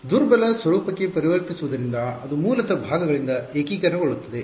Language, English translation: Kannada, Converting to weak form so that was basically integration by parts right